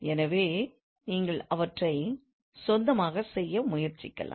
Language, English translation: Tamil, So you may try to do them by your own